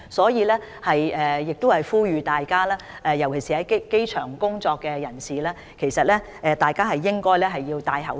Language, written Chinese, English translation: Cantonese, 因此，我呼籲大家，尤其是在機場工作的人士，應該戴上口罩。, Thus I urge members of the public particularly those working at the airport to wear masks